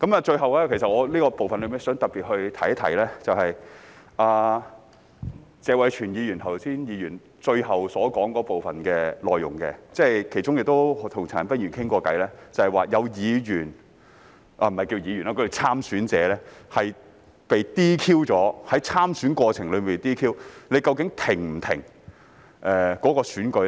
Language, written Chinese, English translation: Cantonese, 最後，我在這部分想特別提出的，是謝偉銓議員剛才最後發言的部分內容，是我亦曾與陳恒鑌議員討論過的，即倘若有參選者在參選過程中被 "DQ"， 究竟應否停止選舉？, Finally I would like to particularly refer to part of Mr Tony TSEs last speech which I have also discussed with Mr CHAN Han - pan that is whether the election should be terminated if a candidate is disqualified during the election process